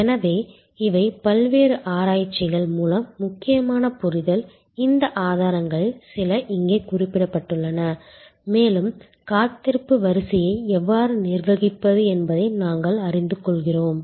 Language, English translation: Tamil, So, these are important understanding through various research, some of these sources are mentioned here and we get to know how to manage the waiting line